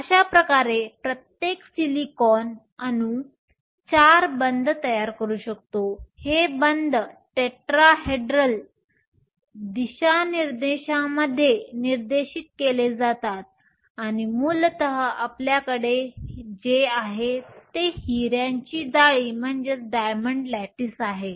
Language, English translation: Marathi, Thus, each silicon atom can form four bonds, these bonds are directed in the tetrahedral directions, and essentially, what you have is a diamond lattice